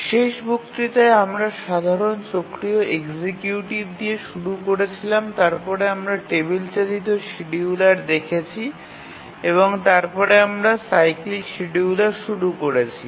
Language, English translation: Bengali, In the last lecture we started looking at the simple cyclic executives and then we looked at the table driven scheduler and then we had started looking at the cyclic scheduler